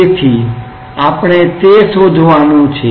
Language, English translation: Gujarati, So, we have to find that out